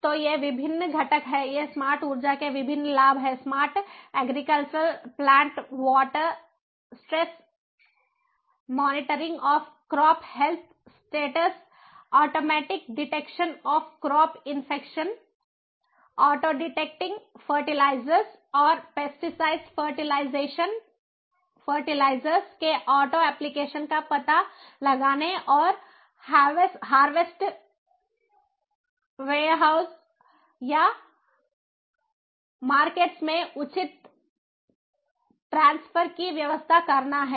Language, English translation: Hindi, smart agriculture likewise: automatic detection of plant water stress, monitoring of crop crop health status, auto detection of crop infection, auto detection, auto application of fertilizers and pesticides, scheduling, harvesting and arranging proper transfer of harvests to warehouses or markets